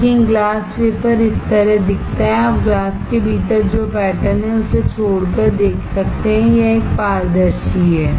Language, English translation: Hindi, But the glass wafer looks like this, you can see through, except the pattern that is there within the glass, it is a transparent